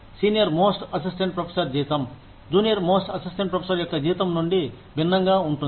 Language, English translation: Telugu, The salary of the senior most assistant professor, could be significantly different from, the salary of the junior most assistant professor